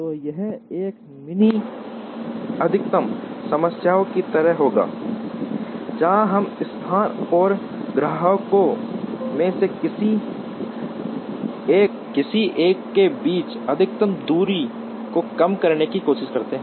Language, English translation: Hindi, So, it will be like a mini max problem, where we try to minimize the maximum distance between the location and any one of the customers